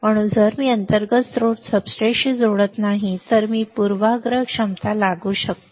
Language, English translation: Marathi, So, if I do not connect internally source to substrate, I do apply a bias potential